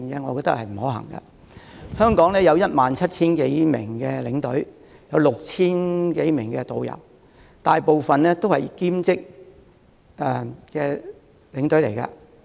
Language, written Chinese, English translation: Cantonese, 目前，香港有 17,000 多名領隊及 6,000 多名導遊，他們大部分是以兼職身份帶團。, Presently there are more than 17 000 tour escorts and 6 000 tourist guides in Hong Kong most of them are part - timers